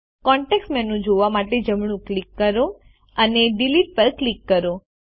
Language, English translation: Gujarati, Right click to view the context menu and click Delete